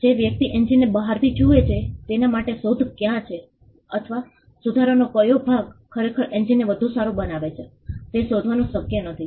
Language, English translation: Gujarati, It is not possible for a person who sees the engine from outside to ascertain where the invention is, or which part of the improvement actually makes the engine better